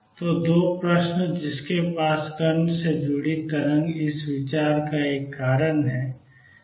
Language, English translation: Hindi, So, 2 questions that have a reason out of this consideration of a wave associated with the particle